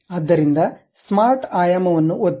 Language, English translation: Kannada, So, smart dimension, click